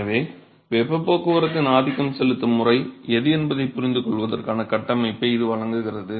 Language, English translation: Tamil, So, that is provides the framework for understanding which one is the dominating mode of heat transport ok